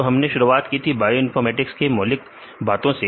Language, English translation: Hindi, So, we started with the fundaments of bioinformatics right